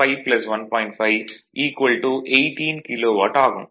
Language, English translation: Tamil, 5, so it is 18 kilo watt right